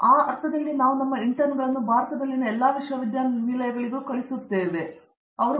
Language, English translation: Kannada, So, in that sense we keep our interns in such way that it is come on to all almost all the universities in India, which are doing in the B